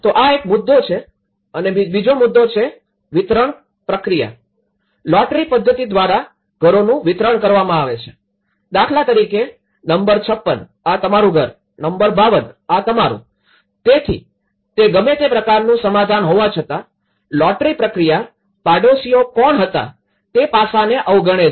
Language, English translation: Gujarati, So that is one aspect, the second aspect is allocation process so, the houses are distributed by lottery method like number 56, this is your house, number 52 this is; so despite of what kind of settlement it was existed, what kind of neighbourhood fabric it was existed, it is all completely taken out due to the lottery approach